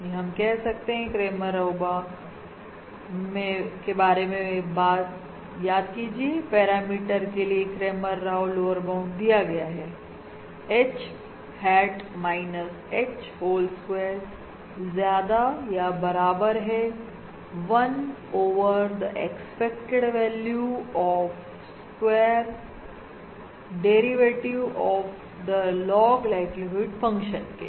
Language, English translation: Hindi, remember, the Cramer Rao lower bound corresponding to parameter H is given as expected H hat minus H whole square is greater than or equal to 1 over the expected value of the square of the derivative of the log likelihood function